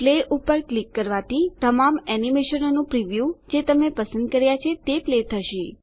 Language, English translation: Gujarati, Click Play The preview of all the animations you selected are played